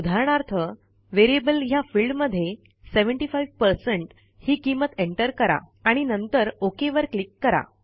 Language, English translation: Marathi, For example,we enter the value as 75% in the Variable field and then click on the OK button